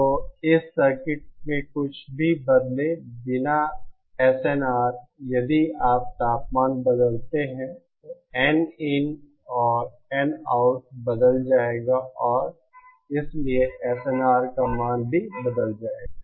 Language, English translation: Hindi, So the SNR without changing anything in this circuit if you change the temperature, Nin and Nout will change and therefore the SNR values will also change